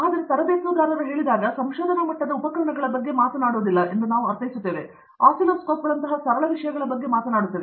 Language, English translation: Kannada, When I say trained, it means like we are not talking about the research level equipment's we are talking about simple things like oscilloscopes, right